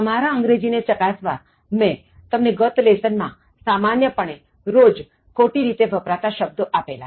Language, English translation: Gujarati, Now, to test your English further, I give you 20 more commonly misused words, expressions in everyday usage in the previous lesson